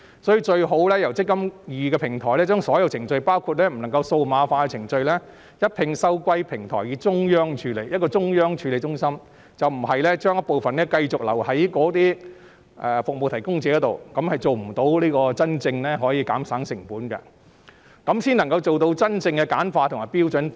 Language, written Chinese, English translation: Cantonese, 所以，最好由"積金易"平台將所有程序，包括不能數碼化的程序，一併收歸平台並交予中央處理中心，而不是將一部分程序繼續留在服務提供者，因為這樣做將不能做到真正減省成本的目的，做到真正簡化及標準化。, The best practice will be to hand over all administration duties including those which cannot be digitalized to the eMPF Platform and a central administration centre . MPFA should not leave out some of the administration work for service providers to handle as that cannot truly achieve the objectives of cost saving streamlining and standardization